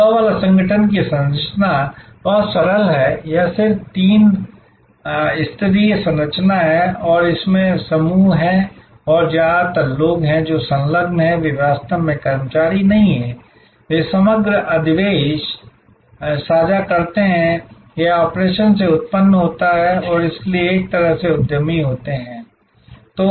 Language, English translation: Hindi, The structure of the Dabbawala organization is very simple, it is just simple three tier structure and there are groups and mostly the people, who are engage, they are not really employees, they share the overall surplus; that is generated by the operation and so in a way they are entrepreneurs